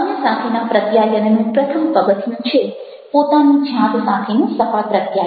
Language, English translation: Gujarati, the first step towards effective communication with other, say, successful communication with yourself